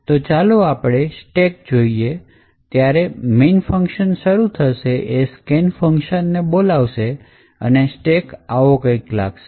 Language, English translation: Gujarati, So, when the main function invokes the scan function this is how the stack is going to look like